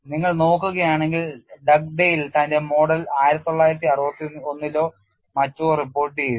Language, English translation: Malayalam, And if we look at Dugdale reported its model 1961 or so